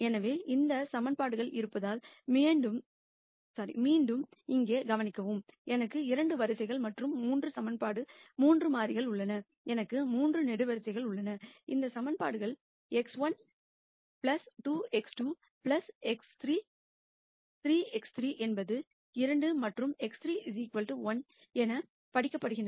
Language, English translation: Tamil, So, again notice here since there are 2 equations, I have 2 rows and 3 equation 3 variables, I have 3 columns and these equations are read as x 1 plus 2 x 2 plus 3 x 3 is 2 and x 3 equals 1